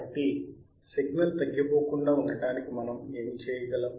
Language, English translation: Telugu, So, what can we do to not let the signal die